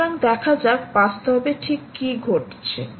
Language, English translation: Bengali, so lets see what actually is happening